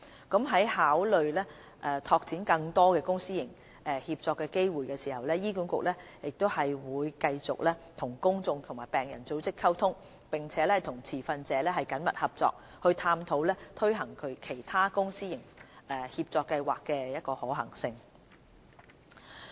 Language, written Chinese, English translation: Cantonese, 在考慮拓展更多公私營協作機會時，醫管局會繼續與公眾及病人組織溝通，並與持份者緊密合作，探討推行其他公私營協作計劃的可行性。, In considering the opportunities for introducing more PPP programmes HA will continue engaging the public and patient groups and work closely with relevant stakeholders to explore the feasibility of launching other PPP programmes